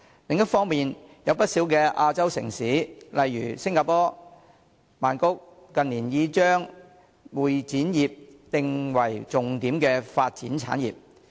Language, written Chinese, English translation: Cantonese, 另一方面，有不少亞洲城市近年已把會展業定為重點發展產業。, On the other hand in recent years quite a number of Asian cities have identified the CE industry as a key industry for development